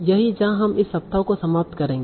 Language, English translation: Hindi, So that's where we will end this week